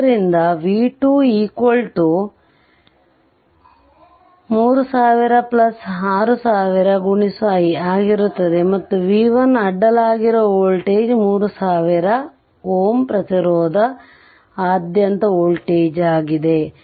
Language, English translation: Kannada, And b 1, b 1 will be 3000 into your i because this is the voltage across b 1 is the voltage across the 3000 ohm resistance